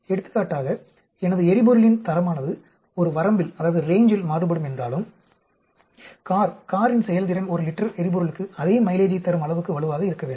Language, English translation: Tamil, Even if, for example, the quality of my fuel varies in a range, the performance of the car should be so robust enough to give you the same mileage per liter of the fuel